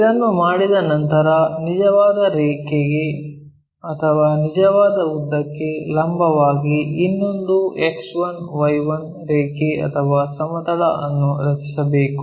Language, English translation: Kannada, Once it is done, perpendicular to the true line or true length, draw one more X 1, I 1 line or plane